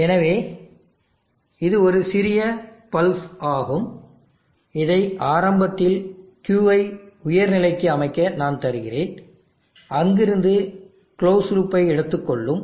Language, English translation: Tamil, So it is a very small pulse which I give to initially set Q to a high state and from there on the close loop will take over